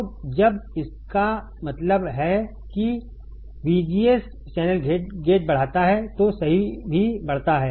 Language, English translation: Hindi, So, when this means that VGS increases channel gate also increases correct